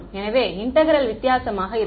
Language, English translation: Tamil, So, the integrals will be different